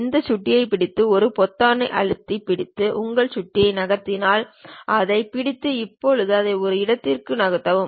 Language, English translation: Tamil, Hold that mouse, then move your mouse by holding that button press and hold that and now move it to one location